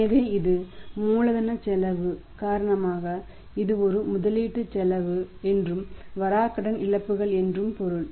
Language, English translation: Tamil, So it means this is a investment cost of because of the cost of capital and this is the bad debt losses